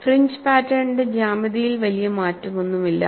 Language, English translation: Malayalam, There is no major change in the geometry of the fringe pattern